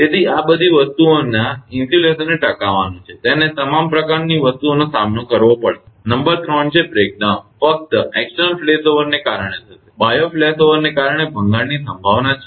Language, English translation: Gujarati, So, all these things insulation has to sustain, it has to withstand all sort of things number 3 is the breakdown will occur only due to the external flashover, there is a possibility of breakdown due to the external flashover